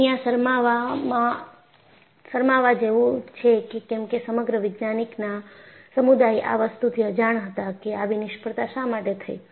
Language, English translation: Gujarati, You know, you have to be in shame, because you know, the whole scientific community was clueless, why such failures have happened